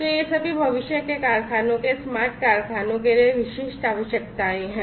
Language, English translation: Hindi, So, all of these are requirements specific to the smart factories of the factories of the future